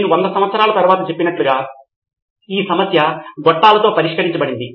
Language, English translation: Telugu, So as I have saying a 100 years later this problem was solved with pipelines